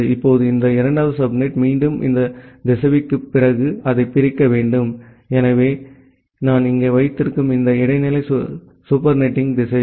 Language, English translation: Tamil, Now, this second subnet again I have to divide it into so, after this router, so this intermediate supernetting router that I have placed here